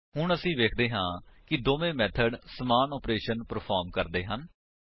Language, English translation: Punjabi, Now we see that both the methods perform same operation